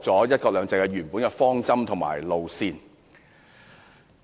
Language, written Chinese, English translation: Cantonese, "一國兩制"原本的方針和路線已被扭曲。, The original direction and course of one country two systems have been distorted